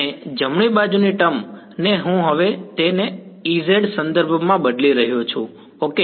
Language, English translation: Gujarati, And the right hand side term I am now replacing it in terms of E z ok